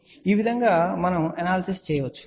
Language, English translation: Telugu, So, this is how we can do the analysis